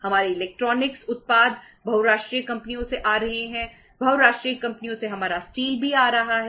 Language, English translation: Hindi, Our cars are coming from multinational companies, our electronics products are coming from the multinational companies